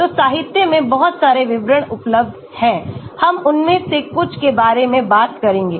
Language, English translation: Hindi, So, there are lot of descriptors available in the literature we will talk about some of them as you go along